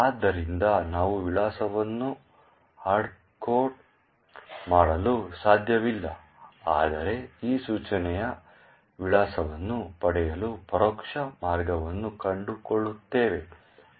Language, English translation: Kannada, So, therefore we cannot hardcode the address but rather find an indirect way to actually get the address of this instruction